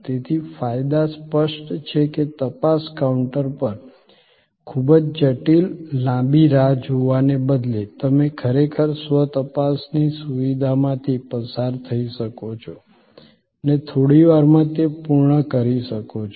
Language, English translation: Gujarati, So, the advantages are obvious, that instead of a very complicated long wait at the checking counter, you can actually go through the self checking facility and get it done in a few minutes